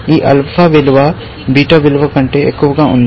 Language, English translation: Telugu, This alpha value has gone above the beta value